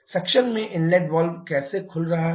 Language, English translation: Hindi, In suction look how the inlet valve is opening